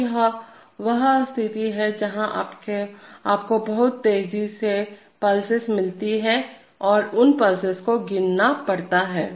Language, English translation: Hindi, So this is the case where you get very fast pulses and one has to count those pulses